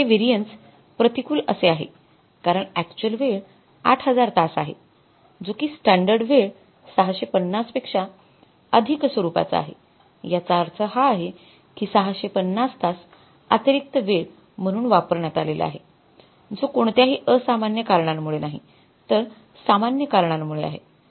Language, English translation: Marathi, 5 right and this will come up as adverse this variance is adverse because your actual time is more by 650 hours as against the standard time of the 8,000 hours so it means that 650 extra time the labor have used, that is not because of any abnormal reasons but because of normal reasons